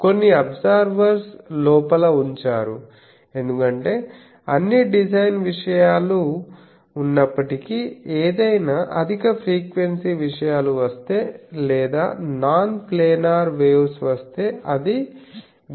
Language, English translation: Telugu, Inside some absorbers are put because in spite of all the design things, if any high frequency things come or non planar waves comes then that gets absorbed